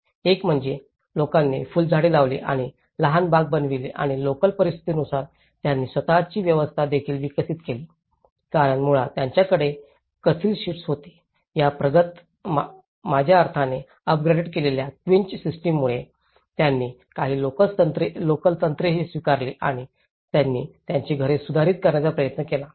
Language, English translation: Marathi, One is, people have planted flowers and make the small gardens and they also develop their own system adapted to the local conditions, so because they had tin sheets basically, with this advanced I mean upgraded quincha system, they also adopted certain local techniques and they try to modify their dwellings